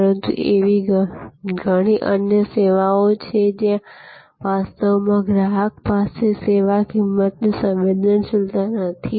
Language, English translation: Gujarati, But, there are many other services, where actually customer may not have that price sensitivity